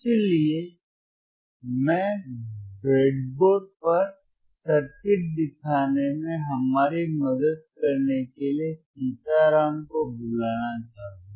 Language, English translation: Hindi, So, I would will I will like to call Sitaram to help us show the circuit on the breadboard